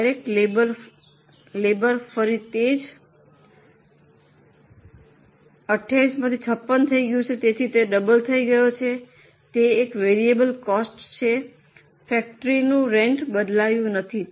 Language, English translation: Gujarati, Direct labour, again same, 28, 56, so it has doubled, it's a variable cost